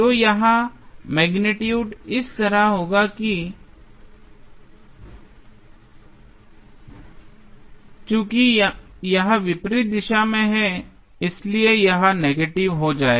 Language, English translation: Hindi, So, here the magnitude would be like this, but, since it is in the opposite direction it will become negative